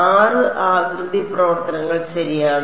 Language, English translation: Malayalam, 6 shape functions ok